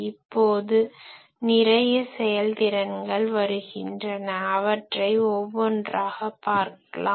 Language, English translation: Tamil, Now there are several efficiencies that comes into play so one by one will see them